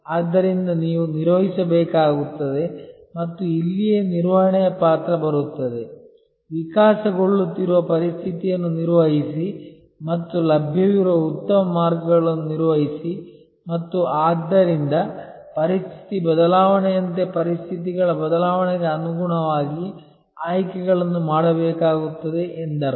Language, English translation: Kannada, So, you will have to manage and this is where the role of management comes, manage the evolving situation and manage the best path available and therefore, it means that as the situation change there will have to be choices made according to the change in conditions